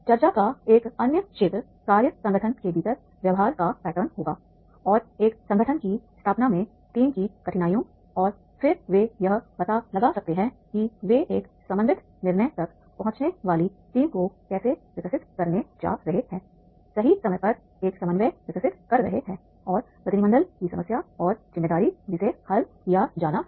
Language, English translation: Hindi, Another area of discussion will be the pattern of behavior within the team's difficulties in establishing a working organization and that working organization that find difficulty in establishing a team and then they can find out that is how they are going to develop a team, reaching a coordinated decision, developing a coordination at the right time and the problem of delegation and responsibility that is to be resolved